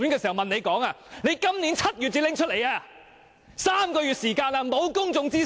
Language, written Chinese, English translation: Cantonese, 至今已經3個月，其間並無公眾諮詢！, And now three months have passed but no public consultation has been conducted!